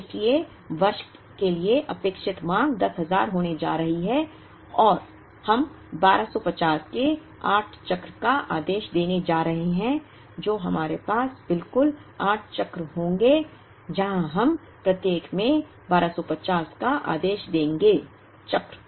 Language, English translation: Hindi, So, the expected demand for the year is going to be 10,000 and since we are going to have 8 cycle of 1250 ordered, then we will have exactly 8 cycles where we will be ordering 1250 in each cycle